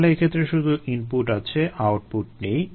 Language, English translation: Bengali, so in this case, there is only input, there is no output